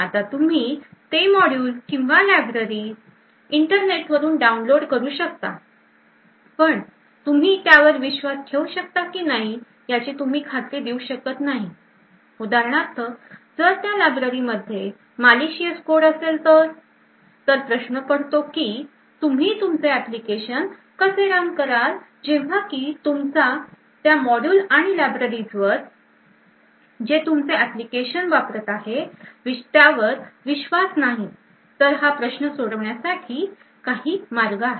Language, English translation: Marathi, Now you may download that module or library from the internet and you are not certain whether you can actually trust that library you are not certain for example if that is a malicious code present in that library, so the question comes is how would you run your application in spite of not trusting the modules and the libraries that the applications uses, so there are some obvious solutions for this thing